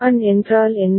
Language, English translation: Tamil, And what is An